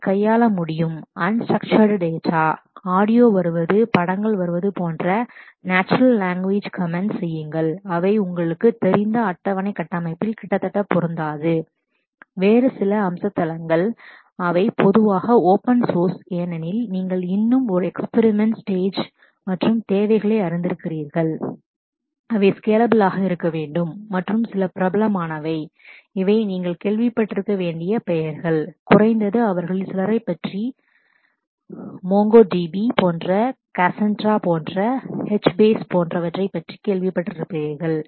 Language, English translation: Tamil, It may be able to handle unstructured data, make natural language comments like images like audio coming in which do not fit nearly into your you know table structure, some of the other feature sites they are typically open source because you know still in an experimental stage and needs to be scalable and some of the popular ones are, these are the names you must have heard about at least some of them like MongoDB like Cassandra like HBase and so on